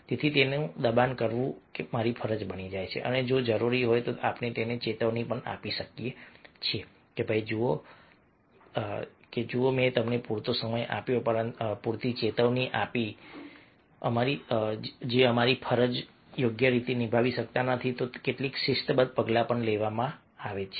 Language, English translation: Gujarati, so this becomes my duty to force him and, if required, we can give him or her warning that, look, i have given you enough time, enough warning, and if you are not able to perform, if you are not able to do our duties properly, then some disciplinary action might be taken